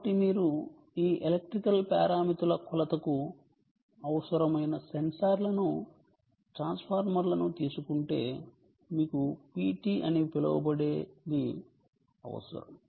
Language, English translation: Telugu, so if you take transformers, the sensors which are required for measurement of these electrical parameters, you need what is known as a p t